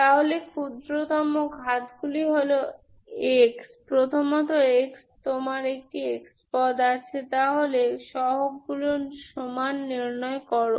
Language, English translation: Bengali, So lowest powers are x, first of all x, you have a x term, so equate the coefficients